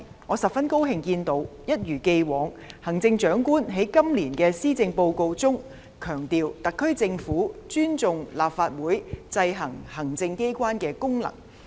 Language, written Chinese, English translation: Cantonese, 我十分高興看到行政長官一如既往，在今年的施政報告中，強調特區政府尊重立法會制衡行政機關的功能。, I am very pleased to see that the Chief Executive as in the past stressed in this Policy Address that the Government of the Hong Kong Special Administrative Region SAR respects the function of the Legislative Council to exercise checks and balances on the executive authorities